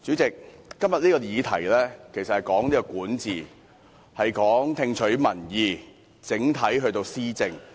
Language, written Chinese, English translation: Cantonese, 代理主席，這項議題其實是關於管治、聽取民意，以及整體施政。, Deputy President the subject of this motion is actually about governance listening to public opinion and overall policy implementation